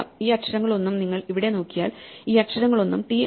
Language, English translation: Malayalam, So, none of these letters if you look at these letters here right none of these letters are t